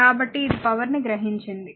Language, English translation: Telugu, So, it is absorbed power